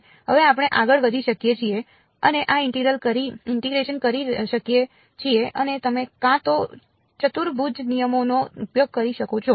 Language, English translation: Gujarati, Now we can go ahead and do this integration and you can either use quadrature rules